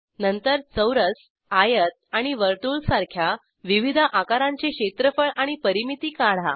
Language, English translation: Marathi, Then find the area and perimeter of various shapes like square, rectangle and circle